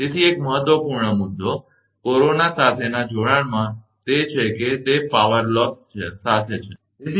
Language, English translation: Gujarati, So, an important point, in connection with the corona is that, it is accompanied by loss of power, this you know there will be power loss right